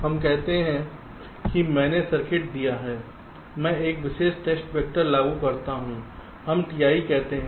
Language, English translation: Hindi, which means it is something like this: lets say, i have given circuit ah, i apply a particular test vector, let say t i